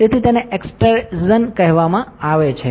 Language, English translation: Gujarati, So, that is called extrusion